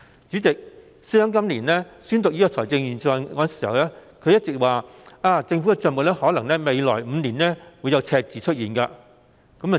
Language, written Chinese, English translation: Cantonese, 主席，司長今年宣讀預算案時，一直表示政府的帳目在未來5年可能會出現赤字。, President when delivering this years Budget the Financial Secretary has been saying that we might have deficits in the Governments accounts for the next five years